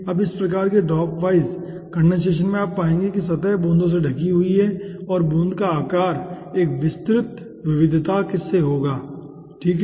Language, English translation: Hindi, now, in this type of drop, dropwise condensation, you will be finding out that surface is covered by drops and the size of drop will be ranging from a wide variety